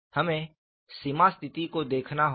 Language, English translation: Hindi, We have to look at the boundary conditions